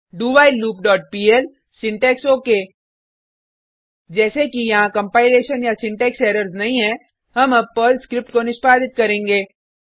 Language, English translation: Hindi, loop dot pl syntax OK As there are no compilation or syntax errors, let us execute the Perl script